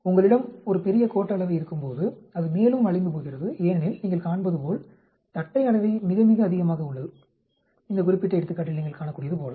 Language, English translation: Tamil, When you have a larger skewness, it is becoming more bent as you can see the kurtosis is very, very large, as you can see in this particular example